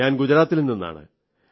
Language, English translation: Malayalam, I am from Gujarat